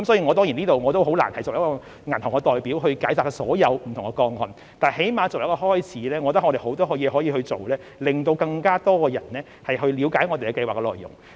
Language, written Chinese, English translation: Cantonese, 我很難在此以一個銀行代表的身份解答所有不同個案的問題，但最低限度作為一個開始，我們有很多工作可以做，讓更多人了解我們的計劃內容。, It would be difficult for me to answer all the questions in the capacity of a bank representative here but as a start at least there is a lot of work we can do to enable more people to understand the content of PLGS